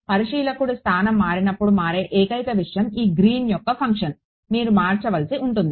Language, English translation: Telugu, The only thing that changes as the observer location changes is this Green’s function, that is all let you have to change